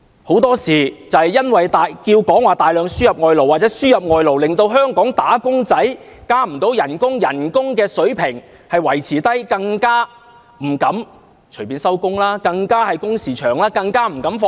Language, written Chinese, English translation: Cantonese, 很多時，正因為有人要求大量輸入外勞，令香港"打工仔"無法加薪、工資維持低水平，令員工不敢隨意下班，工時加長，更不敢放假。, Given the demand for massive importation of labour employees do not have a pay rise; their wages have remained at a low level; they have to work long hours and they dare not take leave